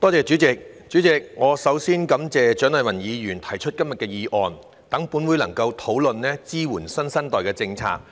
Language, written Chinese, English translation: Cantonese, 主席，首先，我感謝蔣麗芸議員提出今天的議案，讓本會能夠討論支援新生代的政策。, President first of all I would like to thank Dr CHIANG Lai - wan for proposing todays motion to give this Council an opportunity to discuss the policy of supporting the new generation